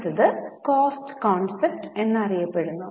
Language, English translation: Malayalam, The next one is known as cost concept